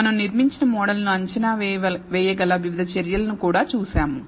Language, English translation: Telugu, We also saw various measures by which we can assess the model that we built